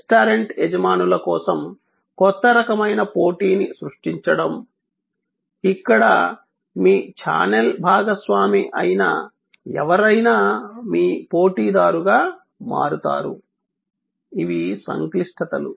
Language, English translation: Telugu, Creating a new kind of competition for the restaurant owners, where somebody who is your channel partner in a way also becomes your competitor, these are complexities